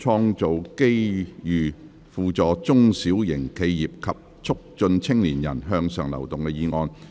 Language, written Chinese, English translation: Cantonese, "創造機遇扶助中小型企業及促進青年人向上流動"議案。, Motion on Creating opportunities to assist small and medium enterprises and promoting upward mobility of young people